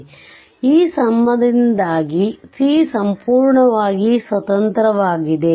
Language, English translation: Kannada, So, because of this relationship we will say c is completely independent y